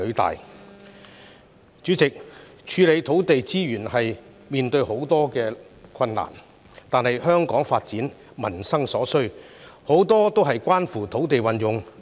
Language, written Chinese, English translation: Cantonese, 代理主席，處理土地資源會面對很多困難，但香港的發展及民生所需，處處都與土地運用有關。, Deputy President the handling of land resources is never easy . Yet land use is intertwined with every aspect of Hong Kongs development and peoples livelihood